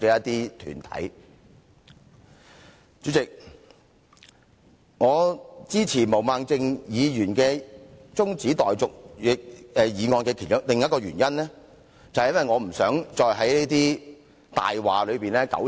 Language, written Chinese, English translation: Cantonese, 代理主席，我支持毛孟靜議員中止待續議案的另一個原因，便是因為我不希望再在一些謊話中糾纏。, Deputy President another reason for my support of Ms Claudia MOs adjournment motion is that I do not want to dwell any further on all those lies